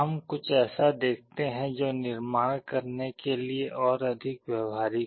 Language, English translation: Hindi, Let us look into something that is more practical to build